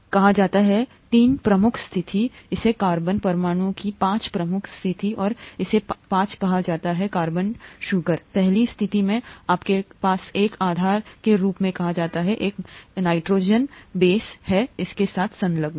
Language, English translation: Hindi, So this is called the three prime position, this is called the five prime position of the carbon atom and to this five carbon sugar, to the first position, you have what is called as a base, a nitrogenous base that is attached to it